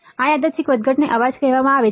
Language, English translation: Gujarati, This random fluctuation is called noise